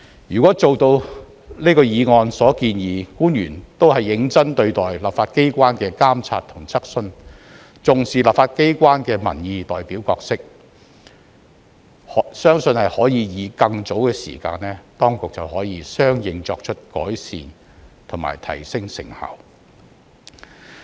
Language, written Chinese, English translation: Cantonese, 如果做到這項議案所建議：官員都是認真對待立法機關的監察和質詢、重視立法機關的民意代表角色，相信可以在更早的時間當局便能相應作出改善和提升成效。, If eventually as this motion suggests all officials pay high regard to the legislatures monitoring exercises and questions and attach great importance to the role of the legislature as the representatives of the public I believe that the authorities will be able to start earlier to make improvements and enhance effectiveness accordingly